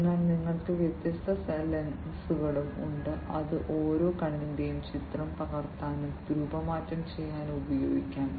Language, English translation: Malayalam, So, then you also have different lenses, which could be used to capture and reshape the image of each eye